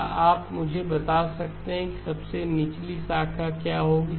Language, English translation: Hindi, Can you tell me what the lowest branch will be